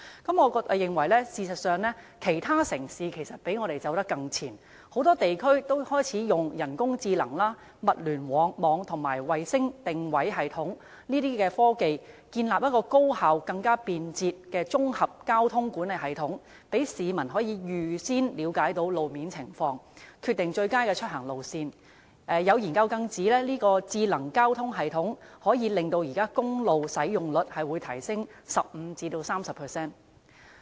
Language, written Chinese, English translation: Cantonese, 事實上，我認為其他城市較我們走得更前，有不少地區已開始使用人工智能、物聯網和衞星定位系統等科技，建立了一個高效和更便捷的綜合交通管理系統，讓市民可以預先了解路面情況，決定最佳出行路線，有研究更指智能交通系統可使現時的公路使用率提升 15% 至 30%。, In fact other cities are more advanced than Hong Kong . Quite many regions have begun using such technologies as artificial intelligence Internet of Things and Global Positioning Systems GPS to develop highly efficient and faster integrated transport management systems to enable their citizens to have an idea of the road conditions in advance so that they can decide on the best route of travel . A study has even indicated that a smart transportation system can raise the utilization rate of highways from 15 % to 30 %